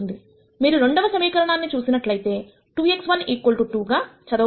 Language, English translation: Telugu, If you look at the second equation it reads as 2 x 1 equal 2